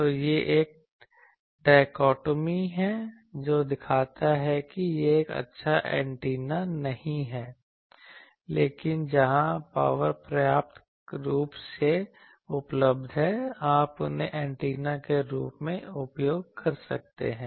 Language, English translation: Hindi, So, this is a dichotomy that shows that it is not a good antenna, but where power is sufficiently available you can use these as an antenna